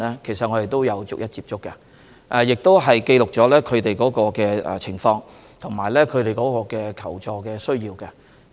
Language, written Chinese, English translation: Cantonese, 其實我們有逐一接觸該 2,500 多名香港人，亦記錄了他們的情況及求助需要。, In fact we have managed to contact the 2 500 Hong Kong people one by one to record their situation and needs